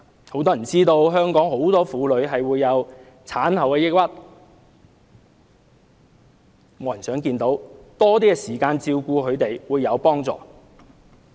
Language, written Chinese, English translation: Cantonese, 很多人不知道很多香港婦女會患上產後抑鬱症，這是沒有人想看到的，丈夫能有多些時間照顧她們，會有幫助。, Many people are not aware that many women in Hong Kong may develop depression after giving birth . Nobody wants to see this happen . It will be of great help if husbands can find more time to take care of their wives